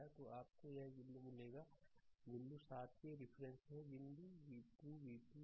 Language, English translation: Hindi, So, you will get one equation in terms of here point seven v 1 minus point 2 v 2 is equal to 6